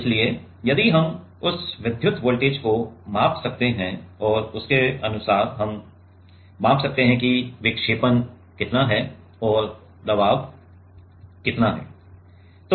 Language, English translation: Hindi, So, if we can measure that electric voltage and then accordingly, we can measure how much is the deflection and how much is the pressure